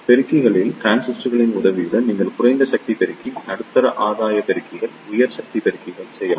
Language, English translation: Tamil, In amplifiers with the help of transistors, you can make the low power amplifier, medium gain amplifiers, high power amplifiers